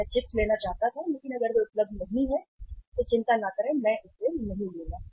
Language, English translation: Hindi, I wanted to have chips but if they are not available do not worry I will not take it